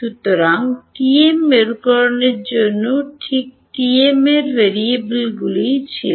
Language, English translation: Bengali, So, for the TM polarization right what was the variables in TM